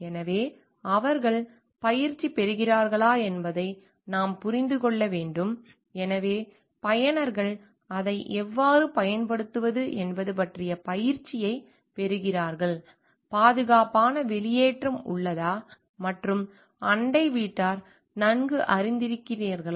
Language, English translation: Tamil, So, we have to understand like whether they get trainings, so the users get training of how to use it, is there a safe exit and neighbors are well informed ahead